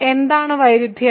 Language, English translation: Malayalam, What is the contradiction